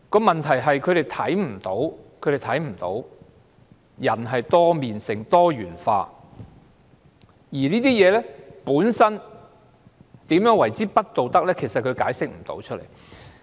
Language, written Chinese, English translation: Cantonese, 問題是，他們看不到人有多面性、是多元化的，而同性婚姻如何不道德，他們解釋不了。, The problem is that they are not aware of the multifaceted nature and the diversity of human beings and they cannot explain what makes same - sex marriage immoral